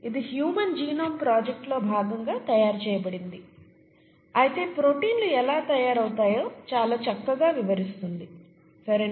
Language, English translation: Telugu, It was made as a part of the human genome project, but it very nicely explains how proteins are made, okay